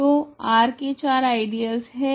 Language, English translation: Hindi, So, R has four ideals